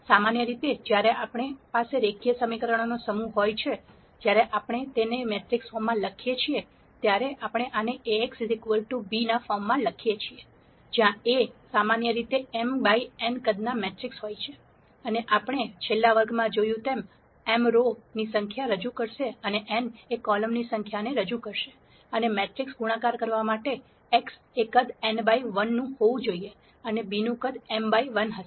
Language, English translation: Gujarati, In general when we have a set of linear equations, when we write it in the matrix form, we write this in the form Ax equal to b where A is generally a matrix of size m by n, and as we saw in the last class m would represent the number of rows and n would represent the number of columns, and for matrix multiplication to work, x has to be of size n by 1 and b has to be of size m by 1